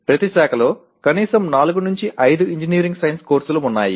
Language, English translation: Telugu, Each branch has at least 4 5 engineering science courses